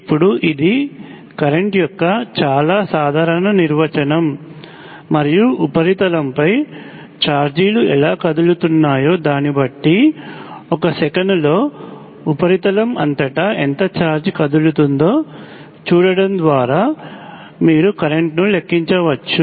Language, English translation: Telugu, Now this is the very general definition of current and depending on how charges are moving across the surface, you can compute the current by looking at how much charge is moving across the surface in 1 second